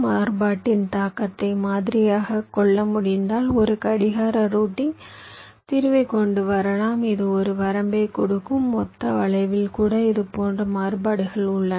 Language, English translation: Tamil, so if you can model the impact of the variation, so you can come up with a clock routing solution which will give you a bound of the on the ah total skew, even the presence of such variations